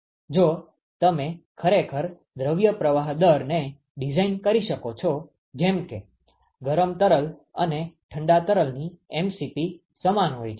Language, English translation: Gujarati, If you can actually design your mass flow rate such that the mdot Cp of the cold and the hot fluid are same